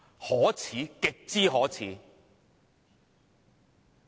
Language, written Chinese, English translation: Cantonese, 可耻，極之可耻。, This is really shameful very very shameful